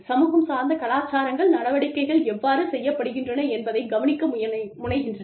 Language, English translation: Tamil, Community oriented cultures, tend to look at, how things are done